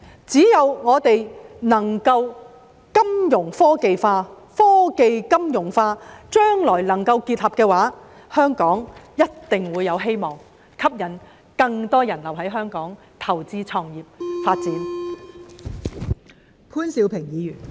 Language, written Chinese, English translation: Cantonese, 只要我們能夠金融科技化、科技金融化，當將來能夠結合時，香港便一定會有希望，可以吸引更多人留在香港投資、創業和發展。, Only by developing Fintech and technology finance will there be hope for Hong Kong to attract more people to stay in Hong Kong to invest start businesses and pursue development when integration succeeds in the future